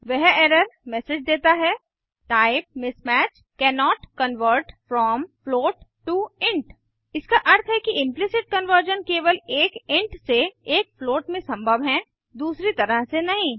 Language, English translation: Hindi, The error message reads, Type mismatch: cannot convert from float to int It means Implicit conversion is possible only from an int to a float but not the the other way